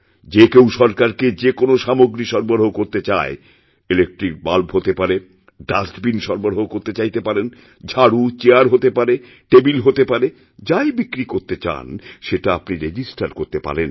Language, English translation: Bengali, Whoever wants to supply any item to the government, small things such as electric bulbs, dustbins, brooms, chairs and tables, they can register themselves